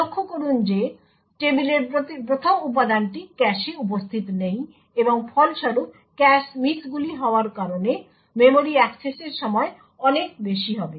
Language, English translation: Bengali, Notice that the first element in the table is not present in the cache and as a result the memory access time would be large due to the cache misses